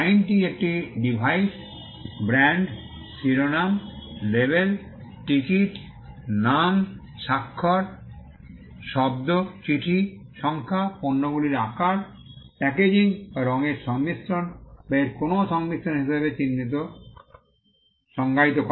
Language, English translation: Bengali, The act defines a mark as a device, brand, heading, label, ticket, name, signature, word, letter, numeral, shape of goods, packaging or combination of colours or any combination thereof